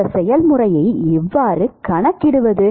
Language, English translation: Tamil, How to quantify this process